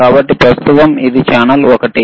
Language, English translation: Telugu, So, right now this is channel one,